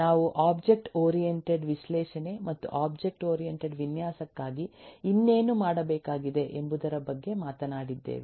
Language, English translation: Kannada, we have talked about object oriented analysis and what else required to be done for object oriented design